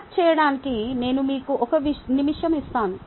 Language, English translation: Telugu, i will give you one minute to map it